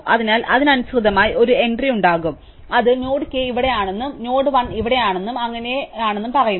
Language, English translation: Malayalam, So, there will correspondingly be an entry which says that node k is here and node l is here and so on